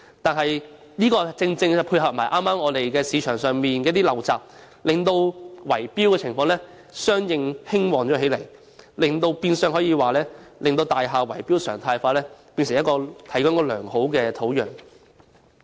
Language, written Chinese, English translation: Cantonese, 但剛巧加上市場上的陋習，令圍標情況相應地興旺起來，變相為大廈圍標常態化提供了良好的土壤。, But it so happens that fuelled by market malpractices bid - rigging has run rampant consequential to this thereby creating a hotbed of bid - rigging which in turn facilitates its development into a norm